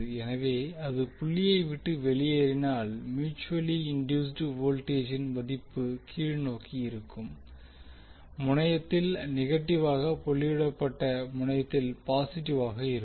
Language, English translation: Tamil, So that means if d it is leaving the dot the value of mutual induced voltage will be negative at the downward terminal and positive at the doted terminal